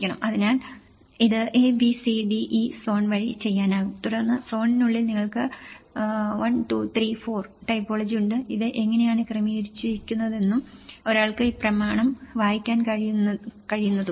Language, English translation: Malayalam, So, this could be done by ABCDE zone and then within the zone, you have 1, 2, 3, 4 typology, this is how it has been organized and how one can read this document